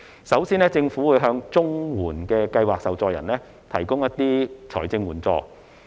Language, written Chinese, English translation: Cantonese, 首先，政府會向綜合社會保障援助計劃受助人提供財政援助。, First the Government will provide financial assistance for the recipients of the Comprehensive Social Security Assistance CSSA Scheme